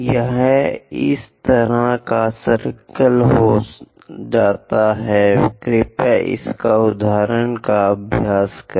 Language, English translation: Hindi, It turns out to be this kind of circle, please practice this example, ok